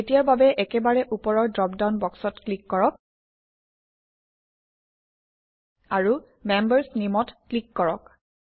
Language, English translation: Assamese, For now, let us click on the top most drop down box, And click on Members.Name